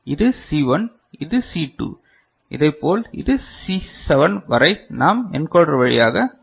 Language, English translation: Tamil, So, this is C1, this is C2 up to say C7 this we can pass through an encoder